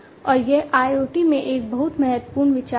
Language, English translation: Hindi, And this is a very important consideration in IoT